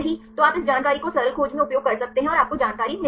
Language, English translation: Hindi, So, you can use any of this information in the simple search and you will get the information